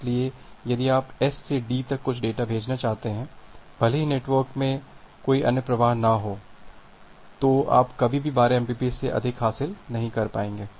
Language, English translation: Hindi, So, if you want to send some data from S to D even if there are no other flows in the network, you will never be able to achieve more than 12 mbps